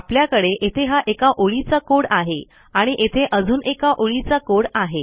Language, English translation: Marathi, Because I have one line of code here and another one line of code here